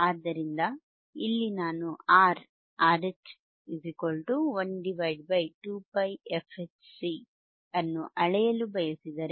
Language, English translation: Kannada, So, here if I want to measure R, RH equals to 1 upon 2 pi fH CC,